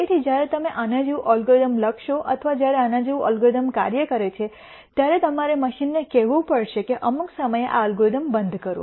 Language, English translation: Gujarati, So, when you write an algorithm like this or when an algorithm like this works you have to tell the machine to stop doing this algorithm at some point